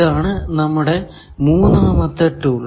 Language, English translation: Malayalam, This is our third tool